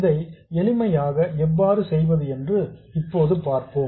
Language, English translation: Tamil, So, let's see how to do this